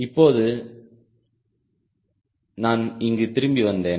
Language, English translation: Tamil, now i come back here again